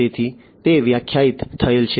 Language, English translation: Gujarati, So, that is what is defined